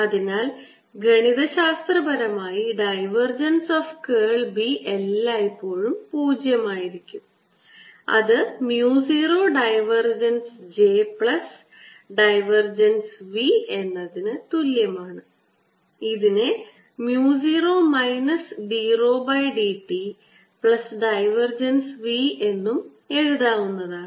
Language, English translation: Malayalam, so if i take divergence of curl of b, which mathematically is always zero, it's going to be equal to mu zero divergence of j plus divergence of v, which is nothing but mu zero times minus d rho d t plus divergence of v